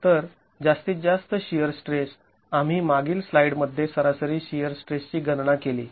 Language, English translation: Marathi, So, the maximum shear stress, we calculated the average shear stress in the previous slide